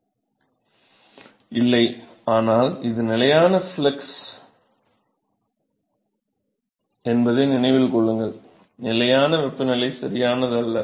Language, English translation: Tamil, No, but this is constant flux, keep in mind this is constant flux, not constant temperature right